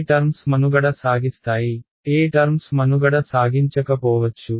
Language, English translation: Telugu, Which terms will survive which terms may not survive